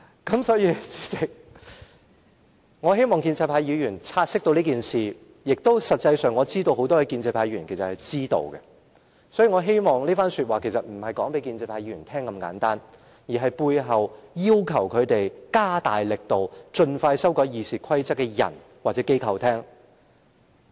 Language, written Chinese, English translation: Cantonese, 主席，我希望建制派議員察悉此事，我知道很多建制派議員其實是知道的，我這番話不只是要告知建制派議員，同時亦要告知背後要求他們加大力度盡快修訂《議事規則》的人或機構。, President I hope pro - establishment Members will take note of this . I know that many pro - establishment Members are actually aware of this fact . My words are not only directed to pro - establishment Members but also to those people or organizations pushing pro - establishment Members to make more effort to amend RoP expeditiously